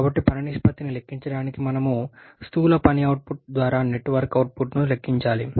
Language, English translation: Telugu, So, to calculate the work ratio, we have to calculate the net work output by the gross work output